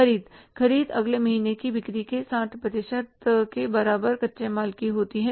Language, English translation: Hindi, So, this is the purchases of raw material equal to 60% of next month purchase